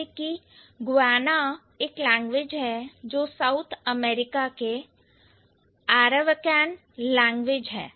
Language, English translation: Hindi, For example, Guana is a language which this is an Arawakhan language of South America